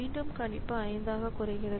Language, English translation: Tamil, So, again the prediction comes down to 5